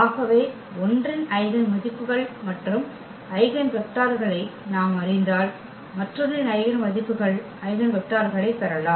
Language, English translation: Tamil, So, meaning if we know the eigenvalues and eigenvector of one, we can get the eigenvalues, eigenvectors of the other